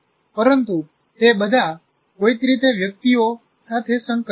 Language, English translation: Gujarati, And they're somehow linked with each other